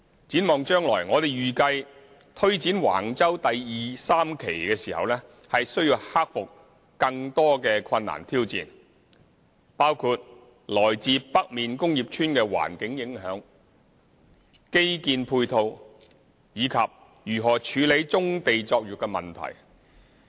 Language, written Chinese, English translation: Cantonese, 展望將來，我們預計推展橫洲第2、3期時需要克服更多困難挑戰，包括來自北面工業邨的環境影響、基建配套，以及如何處理棕地作業的問題。, Looking ahead we anticipate that more difficulties and challenges have to be overcome in taking forward Wang Chau Phases 2 and 3; these include the environmental impact assessment of the industrial estates in the north supporting infrastructure facilities and tackling brownfield operations